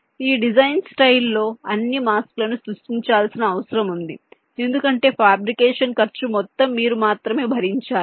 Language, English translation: Telugu, this is a design style where all the masks have to be created because the cost of fabrication has to be born by you only